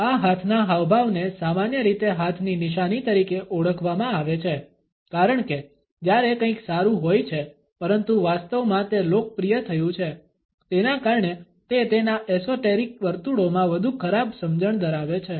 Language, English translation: Gujarati, This hand gesture is commonly known as the hand sign, for when something is good, but in reality it has been popularized, because of it is more sinister understanding in esoteric circles